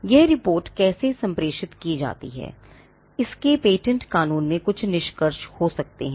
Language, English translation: Hindi, How this report is communicated can have certain implications in patent law